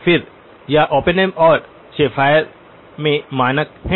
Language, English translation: Hindi, Again, this is standard in Oppenheim and Schaffer